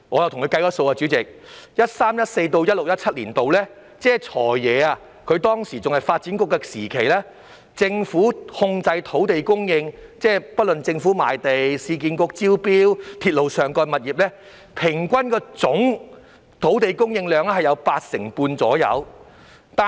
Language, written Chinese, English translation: Cantonese, 代理主席，在 2013-2014 年度至 2016-2017 年度，即"財爺"擔任發展局局長的時期，政府控制的土地供應，即政府賣地、市區重建局招標及鐵路物業發展項目等，平均都佔總土地供應量的八成半左右。, Deputy President during the period from 2013 - 2014 to 2016 - 2017 when FS was the then Secretary for Development the land supply under government control from different sources including the Governments Land Sale Programme projects tendered by the Urban Renewal Authority and railway property development projects averaged about 85 % of the total land supply